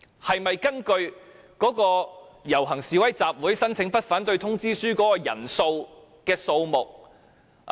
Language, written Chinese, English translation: Cantonese, 是否應該根據警方就遊行示威集會申請發出的不反對通知書的人數來釐定？, Should it be determined by the number of people in accordance with the Letter of No Objection issued by the Police in response to the application for procession or assembly?